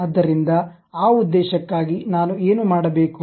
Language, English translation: Kannada, So, for that purpose what I will do